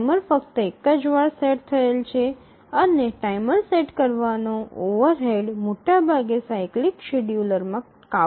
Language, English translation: Gujarati, Timer is set only once and the overhead due to setting timer is largely overcome in a cyclic scheduler